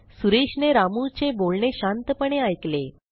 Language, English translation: Marathi, Suresh listens to Ramu patiently